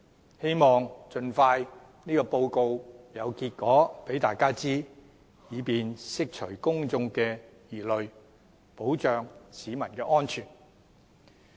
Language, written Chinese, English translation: Cantonese, 我希望有關的測試盡快有結果並讓大家知道，以便釋除公眾疑慮，保障市民安全。, I hope that the results can be released and made known to the public as soon as possible so as to allay their concerns and ensure public safety